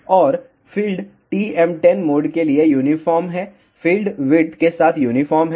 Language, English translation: Hindi, And, field is uniform for TM 1 0 mode field is uniform along the width